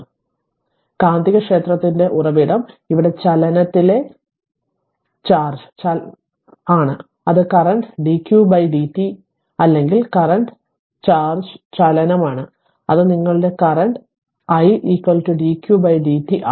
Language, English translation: Malayalam, So, the source of the magnetic field is here what you call charge in motion that is current dq by dt or current charge in motion that is i is equal to dq by dt your current right